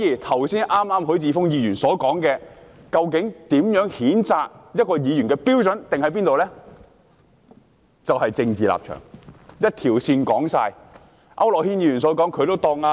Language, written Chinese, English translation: Cantonese, 許智峯議員剛才提到究竟如何訂定譴責一名議員的標準，其實就是政治立場，就是這一條線，講完。, Mr HUI Chi - fung just talked about how the standard for censure against a Member should be set . Actually the answer is political stance . This is the line